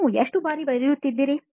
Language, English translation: Kannada, Just how frequently do you write